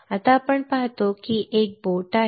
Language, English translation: Marathi, Now, we see that there is a boat